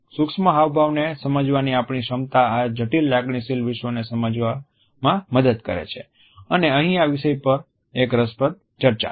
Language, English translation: Gujarati, We can say that our capability to understand micro expressions help us to understand the complex emotional world we live in and here is an interesting discussion of this idea